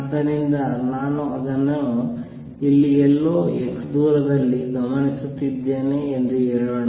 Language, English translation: Kannada, This is very simple this, if I am observing something at x